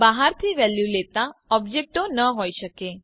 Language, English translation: Gujarati, You cannot have objects taking values from out side